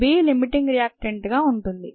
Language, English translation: Telugu, that is called a limiting reactant